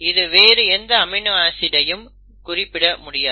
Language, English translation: Tamil, You can have more than one word for a particular amino acid